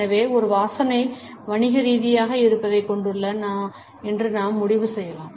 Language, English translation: Tamil, So, we can conclude that a smell has a commercial presence